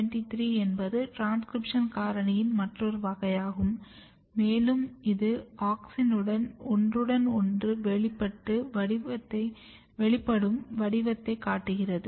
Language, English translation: Tamil, GATA23 is another class of transcription factor and it was observed that it is showing very overlapping expression pattern with the auxin